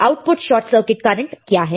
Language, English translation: Hindi, What is output short circuit current